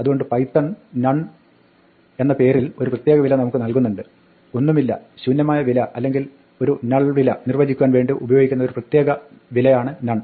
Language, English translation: Malayalam, So, Python provides us with a special value called None with the capital N, which is the special value used to define nothing an empty value or a null value